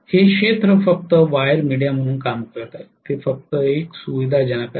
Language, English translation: Marathi, The field is only working as a wire media; it is a facilitator